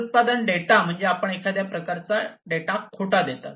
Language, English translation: Marathi, So, product data means like you know you falsify some kind of a data